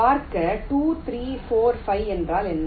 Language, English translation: Tamil, see: two, three, four, five means what